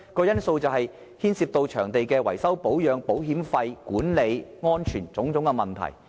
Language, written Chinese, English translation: Cantonese, 因為牽涉到場地的維修、保養、保險費、管理及安全等種種的問題。, Because we will have to deal with the issues of repair and maintenance insurance management and safety involved in the use of the basketball courts